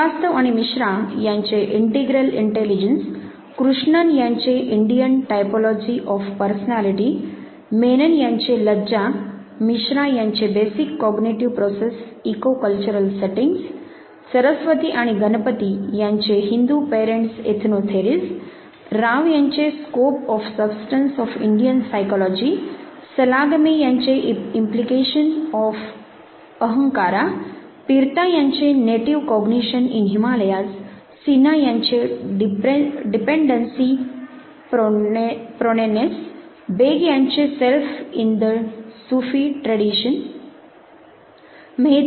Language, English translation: Marathi, Integral intelligence by Srivastava and Misra, Indian typology of personality by Krishnan, Lajja the concept of shame by Menon, Basic cognitive processes eco cultural settings by Misra, Hindu parents ethno theories by Saraswathi and Ganapathy, Scope of substance of Indian psychology by Rao, Implication of ahamkara by Salagame, Native cognition in Himalayas by Pirta, Dependence proneness by Sinha, Self in the Sufi tradition by Beg